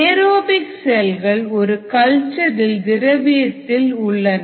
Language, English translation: Tamil, aerobic cells in culture are in the liquid